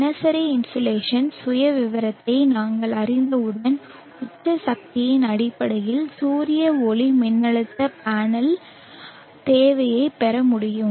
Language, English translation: Tamil, Once we know the daily insulation profile, we will be able to derive the solar photovoltaic panel requirement in terms of peak power